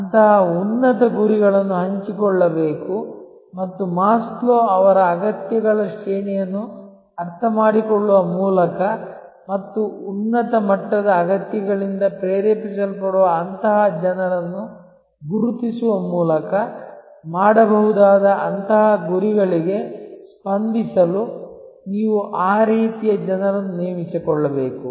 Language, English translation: Kannada, Such lofty goals should be shared and you should recruit people, who are of that type to respond to such goals that can be done by understanding the Maslow’s hierarchy of needs and identifying such people, who are driven by the higher level of needs